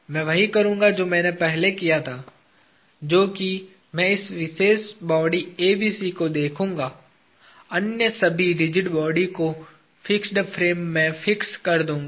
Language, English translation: Hindi, I will do the same thing that I did earlier; which is I will look at this particular body ABC, fix all the other rigid bodies to the fixed frame